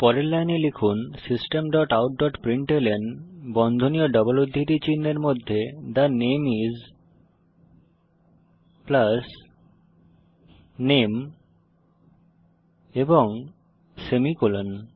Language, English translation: Bengali, Next line type System dot out dot println within brackets and double quotes The name is plus name and semicolon